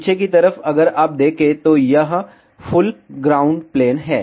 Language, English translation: Hindi, On the back side if you see, it is full ground plane